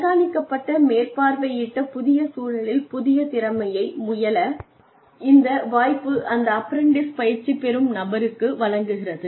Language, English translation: Tamil, And, this opportunity, gives the person to try, the new skill in a monitored, supervised, new environment